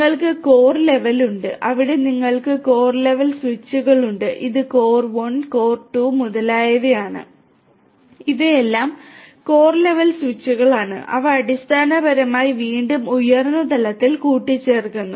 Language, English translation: Malayalam, Then you have the core layer you have the core layer where you have core level switches this is core 1, core 2 and so on, these are all core level switches which basically again aggregates at a higher level